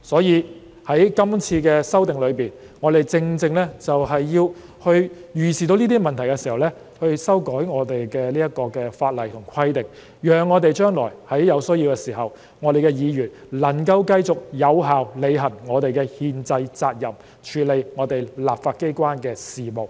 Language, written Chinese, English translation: Cantonese, 因此，在今次的修訂中，我們正正要在預視這些問題時修改相關法例和規定，以致在將來有需要的時候，議員能夠繼續有效履行我們的憲制責任，處理立法機關的事務。, Therefore in the present amendment exercise we amend the relevant legislation and provisions to deal with these foreseeable problems so that when such a need arises in the future we Members are still able to discharge our constitutional duty effectively to conduct Council business